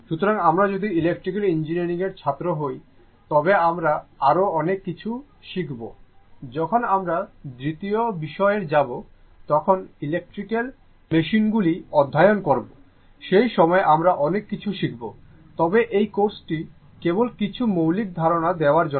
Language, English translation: Bengali, So, later when we learn your much more thing in the if you are an electrical engineering student, when you will go for your second year when you will study electrical machines, at that time you will learn much in detail right, but this course just to give you some basic ideas